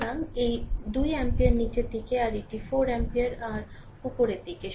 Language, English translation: Bengali, So, this is your that 2 ampere downwards and this is 4 ampere your upwards right